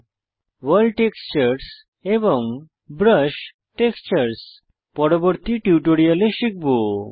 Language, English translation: Bengali, World textures and brush textures will be covered in later tutorials